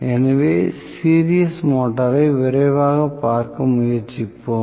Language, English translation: Tamil, So, we will just to try take a look quickly at the series motor